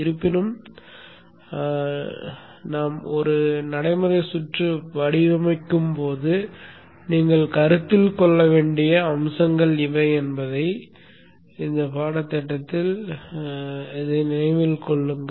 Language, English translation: Tamil, However keep that in mind that these are aspects that you will have to consider when you are designing a practical circuit